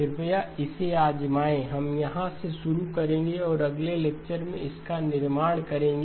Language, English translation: Hindi, Please try it out we will start from here and build on it in the next lecture